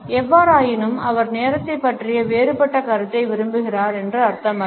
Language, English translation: Tamil, It does not mean, however, that he prefers a different perception of time